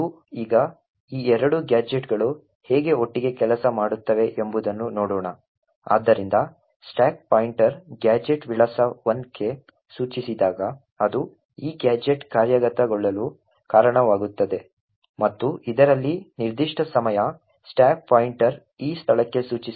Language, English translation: Kannada, Now let us see how these two gadgets work together, so when the stack pointer is pointing to gadget address 1 it would result in this gadget getting executed and at this particular time the stack pointer is pointing to this location